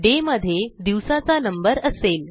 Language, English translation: Marathi, day stores the day number